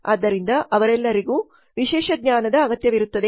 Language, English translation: Kannada, So all of them require specialized knowledge